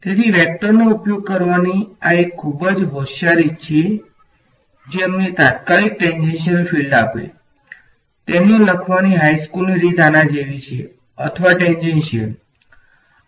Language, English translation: Gujarati, So, this is one very clever way of using vectors to give us the tangential field immediately, the high school way of writing it is like this, E 2 bracket x or E 2 bracket tangential